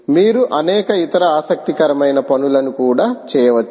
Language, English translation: Telugu, you can do several other interesting things as well, ah